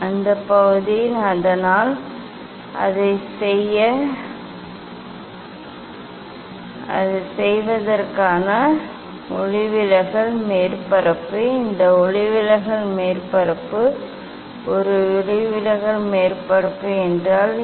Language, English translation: Tamil, that part, so to make it; to make it; to make it this refracting surface, this refracting surface, what is a refracting surface